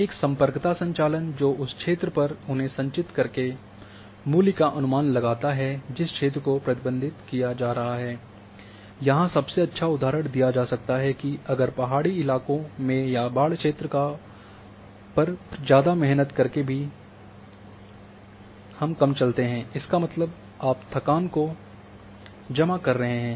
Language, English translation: Hindi, That connectivity operation that estimates value by accumulating them over the area that is being traversed, in the best example can be given that if in hilly terrain or even on flood terrain more you walk lesser you will walk; that means, you are accumulating the tiredness